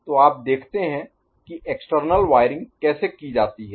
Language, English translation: Hindi, So, you see how the external wiring is done